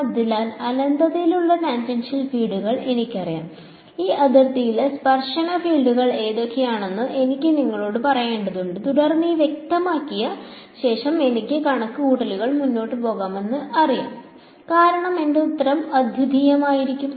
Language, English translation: Malayalam, So, I know the tangential fields at infinity I need to tell you what the fields are the tangential fields are on this boundary and then, once these are specified I know that I can proceed with my calculation because my answer will come out to be unique